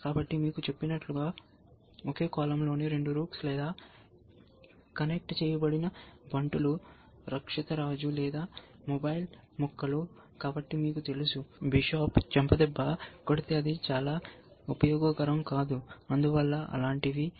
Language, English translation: Telugu, So, just as we said you know, rooks in the same column or connected pawns, a protected king or mobile pieces, so you know bishop is slap then it not very useful, hence things like that